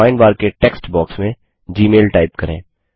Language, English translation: Hindi, In the text box of the Find bar, type gmail